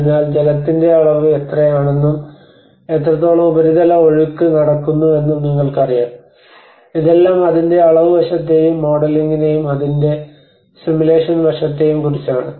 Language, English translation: Malayalam, So you know so how much water volume of water and how much surface runoff is carried out, so this is all about the quantitative aspect of it and the modeling and the simulation aspect of it